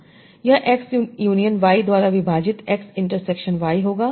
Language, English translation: Hindi, It will be x intersection y, divide by x union y